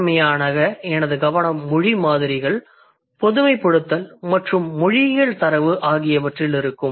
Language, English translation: Tamil, So, primarily my focus is going to be on the language samples, generalizations, and then the linguistic data